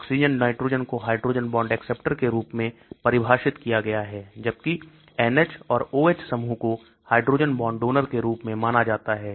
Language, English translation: Hindi, Oxygen, nitrogen is defined as hydrogen bond acceptors; whereas N H or O H groups are considered as hydrogen bond donors